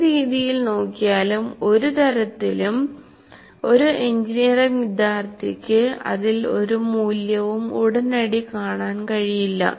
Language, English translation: Malayalam, In either way, an engineering student may not see any value in that immediately